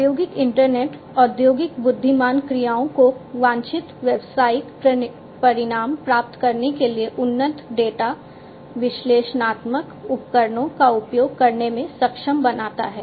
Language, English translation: Hindi, So, basically, the industrial internet enables the industrial intelligent actions to use advanced data analytic tools for getting desired business results